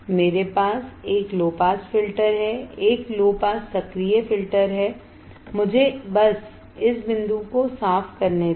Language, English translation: Hindi, I have a low pass filter a low pass active filter let me just clear this point